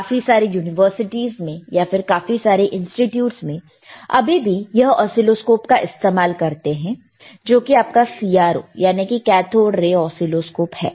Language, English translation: Hindi, Lot of universities, lot of institutes, they still use this oscilloscope, which is your CRO, all right, or cathode ray oscilloscope